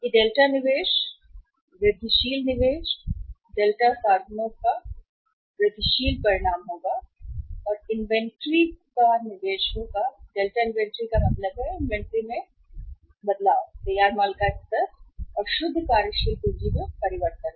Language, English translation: Hindi, And this will be the result of say delta investment, incremental investment, delta means incremental, investment will be the function of delta inventory means change in the inventory level of finished goods plus change in the net working capital